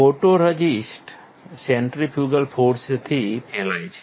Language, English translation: Gujarati, Photoresist is spread by centrifugal force